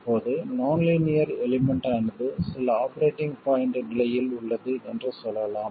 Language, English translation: Tamil, Now let's say the nonlinear element is in some operating point condition